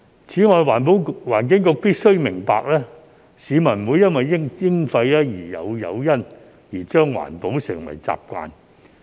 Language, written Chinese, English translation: Cantonese, 此外，環境局必須明白，市民不會因為徵費而有誘因將環保成為習慣。, In addition EB must understand that levies will not incentivize people to make environmental protection a habit